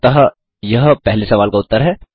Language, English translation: Hindi, So that is the first questions answer